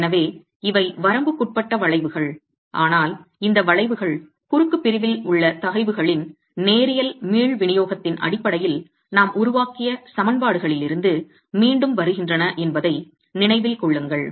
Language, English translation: Tamil, So, these are limiting curves but mind you these curves are again from the equations that we have developed based on linear elastic distribution of stresses in the cross section